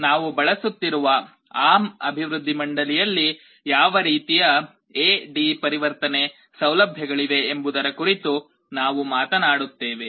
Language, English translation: Kannada, And we shall be talking about what kind of A/D conversion facilities are there in the ARM development board that we shall be using